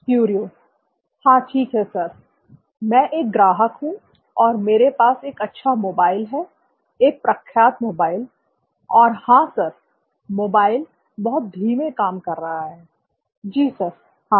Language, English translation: Hindi, okay, yes sir, I am a customer and I have a good mobile, a reputed mobile and yes sir, the mobile is running very slow, yes sir, yes